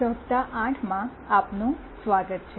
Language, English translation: Gujarati, Welcome to week 8